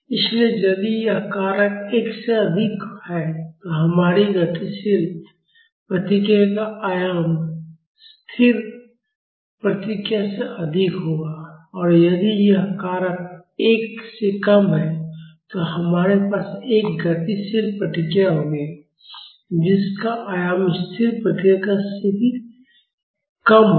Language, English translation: Hindi, So, if this factor is greater than 1, our dynamic response amplitude will be greater than the static response; and if this factor is less than 1, we will have a dynamic response which has an amplitude even less than the static response